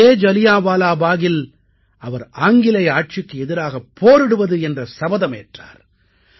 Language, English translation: Tamil, At Jallianwala Bagh, he took a vow to fight the British rule